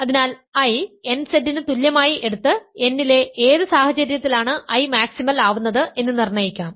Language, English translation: Malayalam, So, let us take I equal to nZ and determine when under what conditions on n is I maximal